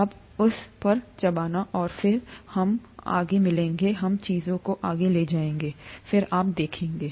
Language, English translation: Hindi, You munch on it, and then when we meet next, we will take things forward, see you then